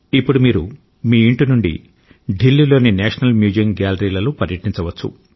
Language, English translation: Telugu, Now, sitting at your home, you can tour National Museum galleries of Delhi